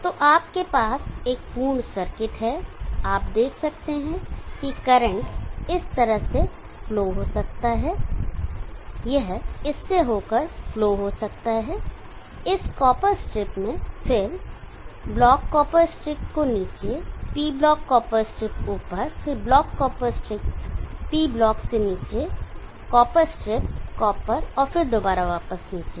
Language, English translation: Hindi, So you have a complete circuit you see the current can flow in this fashion it can flow in through this into this copper strip up, then block copper strip down, the P block copper strip up then block copper strip down the P block, copper strip copper and then back again